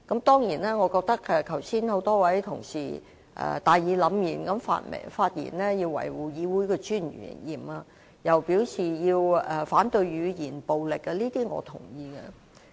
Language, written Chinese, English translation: Cantonese, 當然，多位同事剛才大義凜然地發言，表示要維護議會的尊嚴，又表示要反對語言暴力，這些我也認同。, Of course just now a number of colleagues have spoken in such a righteous manner that they said that we should protect the dignity of the legislature and we should fight against verbal violence . I concur with all of these views